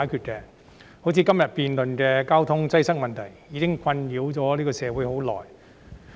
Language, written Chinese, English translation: Cantonese, 好像今天我們在此辯論的交通擠塞問題，已經困擾社會很長時間。, For example the problem of traffic congestion we are debating here today has long been troubling society for a very long time